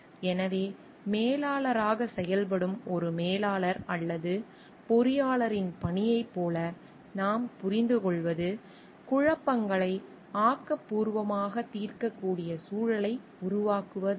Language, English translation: Tamil, So, what we understand like the job of a manager or a engineer, who is functioning as a manager is to create climate in which conflicts can be resolved constructively